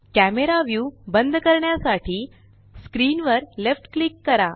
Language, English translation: Marathi, Left click on the screen to lock the camera view